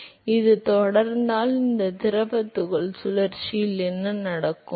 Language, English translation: Tamil, So, if this continues then what happens is the circulation of this fluid particle